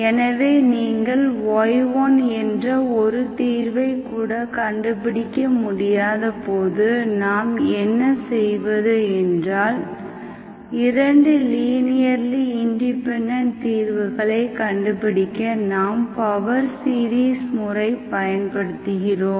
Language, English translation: Tamil, So we start with, what we do is when you cannot find any solution, not even single solution y1, you do not know, so to find 2 linearly independent solutions, what we do is, we use the method call power series method, power series